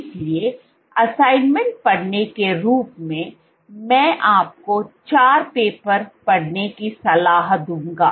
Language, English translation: Hindi, So, as reading assignment, I would recommend you to read four papers